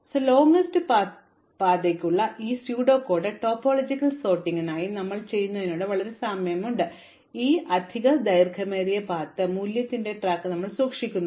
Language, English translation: Malayalam, So, the pseudo code for longest path as we saw is very similar to what we did for the topological sort, we just have keep track of this extra longest path value